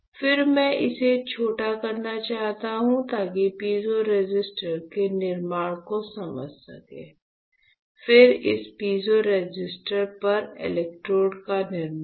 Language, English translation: Hindi, Then I want to make it short so that you can understand just a fabrication of piezo resistor; then fabrication of electrodes on this piezo resistor, ok